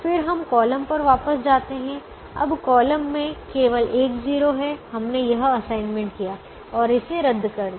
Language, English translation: Hindi, now, when the first column has only one zero, the assignment has been made